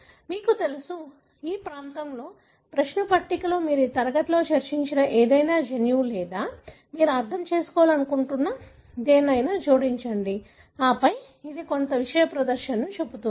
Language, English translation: Telugu, You simply, you know, in this region, in the query box you add any gene that you discussed in this class or anything that you want to understand and then it would show some display like this